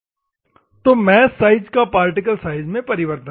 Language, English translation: Hindi, So, the mesh size particle conversion